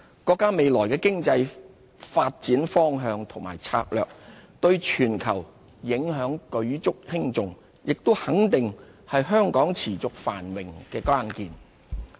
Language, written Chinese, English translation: Cantonese, 國家未來的經濟發展方向和策略，對全球影響舉足輕重，也肯定是香港持續繁榮的關鍵。, The future directions and strategies of our countrys economic development have a major global bearing . They are also the linchpin of Hong Kongs sustained prosperity